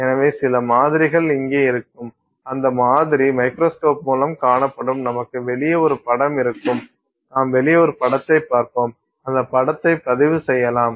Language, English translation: Tamil, So, some sample will sit here and that sample will be seen through the microscope and you will have an image here outside the you will see an image and that image can be recorded